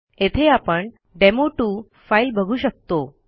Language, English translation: Marathi, And as you can see the demo1 file is there